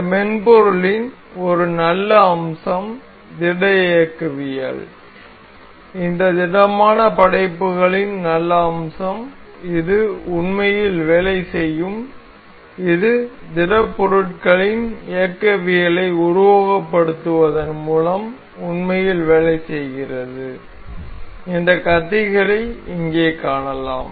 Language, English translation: Tamil, A good feature of this software solid mechanics solid works; good feature of this solid works is this actually works on it actually works as it simulates the mechanics of solids you can see the blades